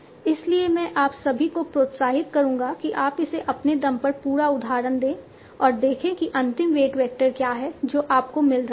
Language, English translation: Hindi, So I will encourage all of you that you should try it this full example on your own and see what is the final weight vector that you are getting